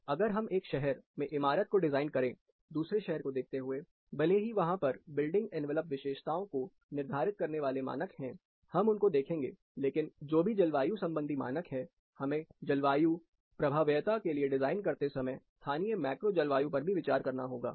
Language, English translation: Hindi, So, when you design a building with one city, with respect to the other city, though there are standards which prescribe certain building envelope characteristics, we will look at them, but whatever climatic recommendations are there, we also need to consider the localized macro climate within, when designing for climate responsiveness